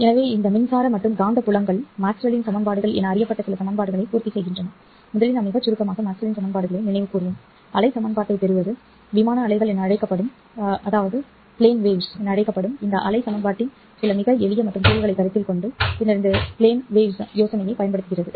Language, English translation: Tamil, So, these electric and magnetic fields satisfy certain set of equations known as Maxwell's equations and we will first very briefly recall Maxwell's equation, derive the wave equation, consider some very simple solutions of this wave equation known as plane waves, and then use this plane wave idea in order to study the physical structure of wave propagation inside a phase modulator and amplitude modulator, optical phase modulator and optical intensity modulator